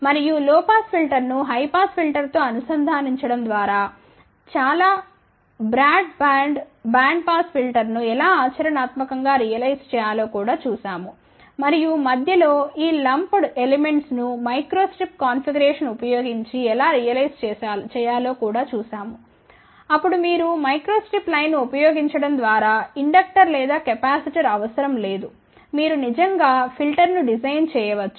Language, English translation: Telugu, And, then we also looked at how to practically realize a very broad band band pass filter by integrating a low pass filter with the high pass filter and in between we also saw how these lumb elements can be realize using a microstrip configuration so, then you do not need a inductor or capacitor simply by using microstrip line you can actually design of filter